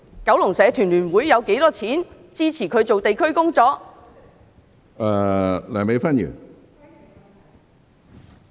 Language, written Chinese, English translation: Cantonese, 九龍社團聯會有多少資金支持她進行地區工作？, How much funds does the Kowloon Federation of Associations use to support her in her district work?